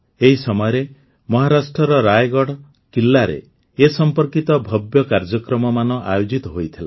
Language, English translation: Odia, During this, grand programs related to it were organized in Raigad Fort in Maharashtra